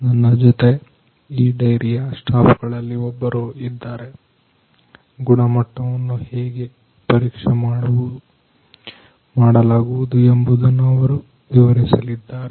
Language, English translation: Kannada, So, here I have with me one of the staffs of this dairy, who is going to explain how the quality checking is done